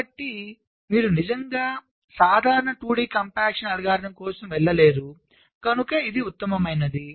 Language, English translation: Telugu, so you really cannot go for general two d compaction algorithm, which is the best possible